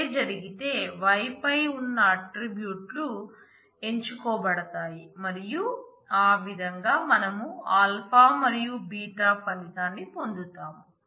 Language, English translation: Telugu, If that happens then the attributes on y the tuples would be chosen and that is how we get the result having alpha and beta